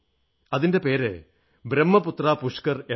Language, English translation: Malayalam, It's called Brahmaputra Pushkar